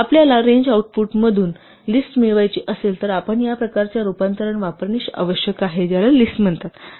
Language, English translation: Marathi, If we want to get a list from a range output we must use this type conversion called list